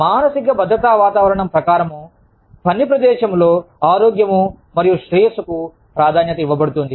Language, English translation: Telugu, Psychological safety climate represents, the priority given to psychological health and well being, in the workplace